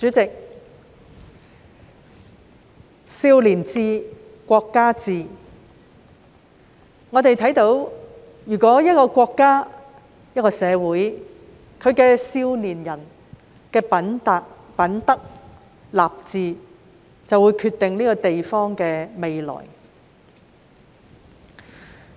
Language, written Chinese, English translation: Cantonese, 主席，"少年志，國家志"，我們看到一個國家、一個社會的少年人的品德、立志，會決定這個地方的未來。, President as the saying goes the will of the youth is the will of the nation . As we can see the moral character and will of young people of a country or society will determine the future of the place